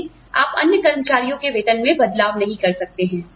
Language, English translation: Hindi, But, you do not change the salaries, of the other employees